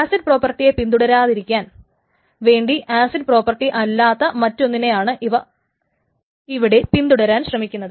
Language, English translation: Malayalam, So not to follow acid properties but to follow something that is not just acid properties